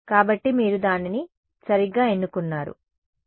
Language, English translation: Telugu, So, you do not choose that right